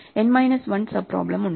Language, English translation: Malayalam, There are n minus 1 sub problems